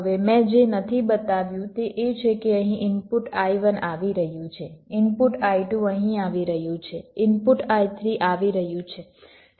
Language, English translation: Gujarati, now, what i have not shown is that here, the input i one is coming here, the input i two is coming here, the input i three is coming